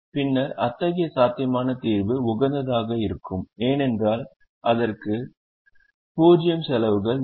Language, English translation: Tamil, then such a feasible solution will be optimum because it will have zero cost